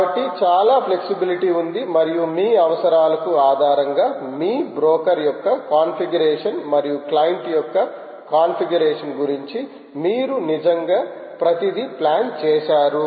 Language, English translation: Telugu, so lot of flexibility existed and it you had actually plan everything about your configuration of the broker as well as configuration of the client based on your requirements